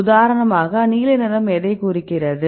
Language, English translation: Tamil, For example, this is a blue for the